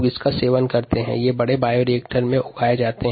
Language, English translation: Hindi, these are grown in large bioreactors